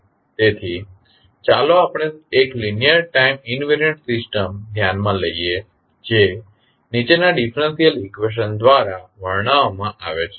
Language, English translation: Gujarati, So, let us consider one linear time invariant system which is described by the following differential equation